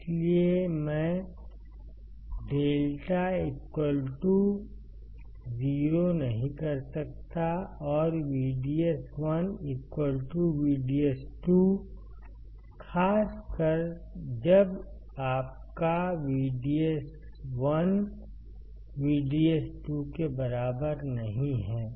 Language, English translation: Hindi, Hence, I cannot have lambda equals to 0, and VDS1 equals to VDS 2, particularly when your VDS1 is not equal to VDS 2